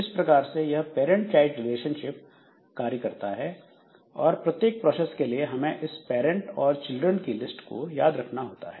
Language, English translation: Hindi, So, that way we have got a parent child relationship and this we have got for every process we remember the parent and the children list